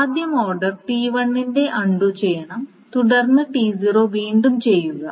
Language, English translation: Malayalam, And the order must be that undoing of T1 is first and redoing of T0 is then